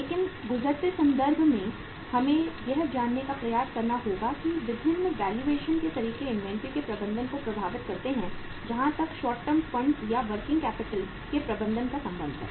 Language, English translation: Hindi, But in the passing reference we will have to uh say uh try to find out that how different valuation methods impact the management of management of inventory as far as the management of the short term funds or the working capital is concerned